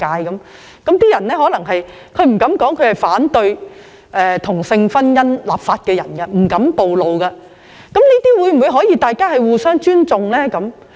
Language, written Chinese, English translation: Cantonese, 有些人可能不敢表明反對同性婚姻立法，那麼大家是否可以互相尊重呢？, Some people may not dare indicate their opposition against the enactment of laws on same - sex marriage but can we just show some mutual respect?